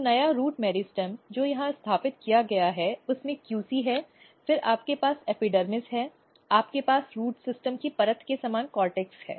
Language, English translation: Hindi, So, here is new root meristem which is established here which has QC then you have epidermis, you have cortex this all the same layer of the root system